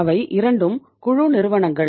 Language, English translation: Tamil, They are both are the group companies